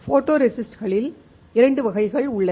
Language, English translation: Tamil, There are two types of photoresists